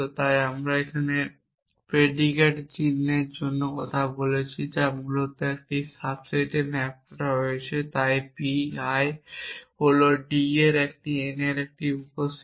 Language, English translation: Bengali, So the predicate symbol that we are taking about is basically map to a subset so p I is a subset of d rise to n